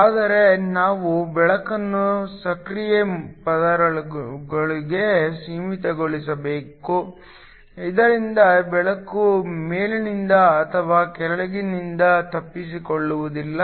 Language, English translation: Kannada, But, we also need to confine the light within the active layer, so that light does not escape from the top or the bottom